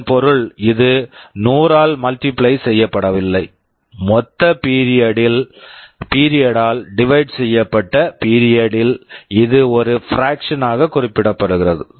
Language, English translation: Tamil, This means it is not multiplied by 100, just on period divided by the total period, it is specified as a fraction